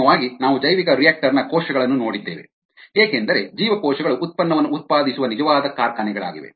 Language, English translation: Kannada, then, finally, we looked at the ah cell view of the bioreactor, because cells are the actual factories that are producing the product